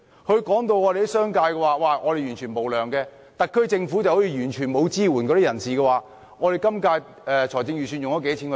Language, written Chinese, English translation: Cantonese, 他聲稱商界完全無良，而特區政府似乎完全沒有向有需要的人士提供支援。, The Government said to the business sector Please help . Our local economy is now in difficulties